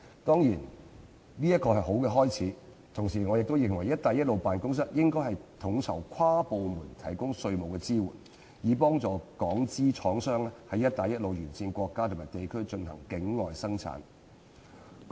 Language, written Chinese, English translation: Cantonese, 當然，這是一個好的開始，同時我也認為"一帶一路"辦公室應統籌跨部門提供稅務支援，以協助港商在"一帶一路"沿線國家和地區進行境外生產。, Certainly this is a good start but at the same time I also think that the Belt and Road Office should coordinate various departments in providing tax assistance so as to assist Hong Kong businessmen in conducting offshore production in countries and regions along the Belt and Road